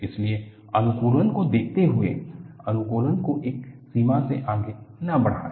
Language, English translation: Hindi, So, by looking at optimization, do not stretch optimization beyond a limit